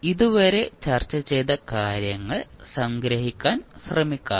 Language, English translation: Malayalam, Let us try to summarize what we have discussed till now